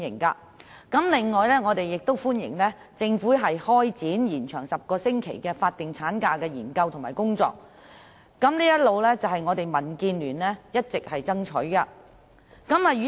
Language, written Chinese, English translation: Cantonese, 此外，我們亦歡迎政府開展把10星期法定產假延長的有關研究和工作，這些都是民建聯一直所爭取的。, Moreover we welcome the Governments commencement of the study and work relating to the extension of the 10 - week statutory maternity leave . This is what DAB has all along striven for